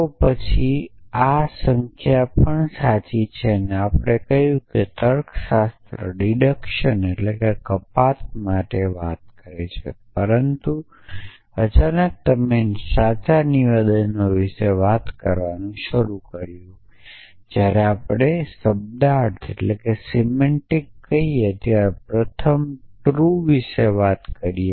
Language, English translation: Gujarati, Then is this necessarily true number we said logic talks about for deduction essentially, but suddenly you have started talking about true statements for let us talk about truth first when we says semantics